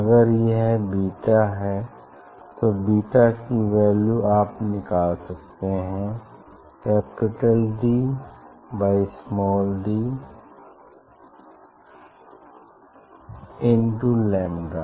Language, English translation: Hindi, if it is beta; beta will be equal to from here you can find out D capital D by small d into lambda